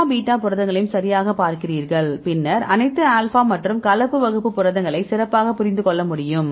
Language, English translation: Tamil, So, you see all beta proteins right you can a get better correlation then the all alpha and the mixed class proteins